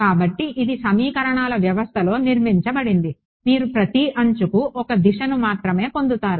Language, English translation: Telugu, So, it's built into the system of equations that you will get only one direction for each edge